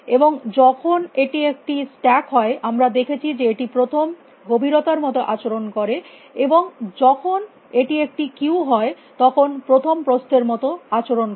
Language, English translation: Bengali, And when it is a stack we saw that this behaves like depth first, and when it is a queue we saw it behaves like breadth first